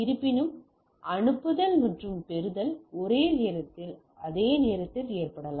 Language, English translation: Tamil, However, the sending and receive can occur on the same whereas, the same time